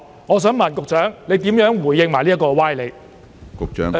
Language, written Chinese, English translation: Cantonese, 我想問局長如何回應這些歪理？, How will the Secretary respond to such specious arguments?